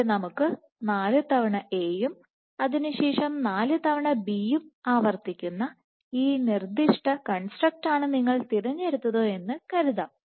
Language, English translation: Malayalam, So, let us assume you have chosen this particular construct which is A repeated 4 times and followed by B repeated 4 times